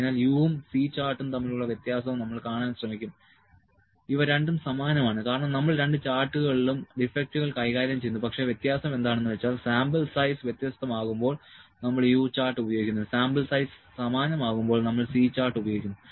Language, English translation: Malayalam, So, the difference between U and C chart will try to see these are very similar, because we are dealing with defects in both the charts, but the difference is that when the sample size is different we use U chart when a sample size is same, we use the C chart